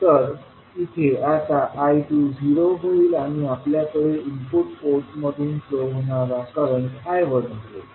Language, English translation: Marathi, I2 will be zero and we will have current I1 flowing from the input port